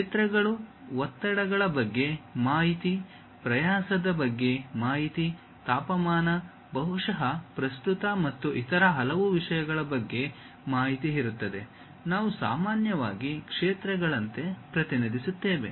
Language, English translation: Kannada, There will be fields, information about stresses, strains, temperature perhaps the information about current and many other things, we usually represent like fields